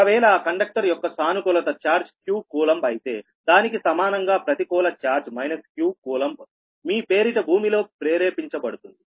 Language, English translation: Telugu, if this has a q coulomb, then an equal amount of negative charge minus q coulomb is induced in your induced earth